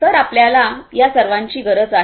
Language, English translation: Marathi, So, we need all of these